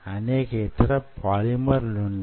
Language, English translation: Telugu, there are other polymers which could be use